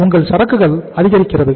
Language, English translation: Tamil, Your inventory is mounting